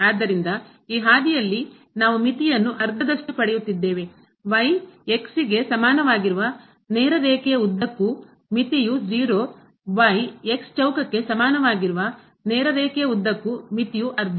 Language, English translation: Kannada, So, along this path we are getting the limit half; along the straight line, is equal to , the limit is 0; along is equal to square, the limit is half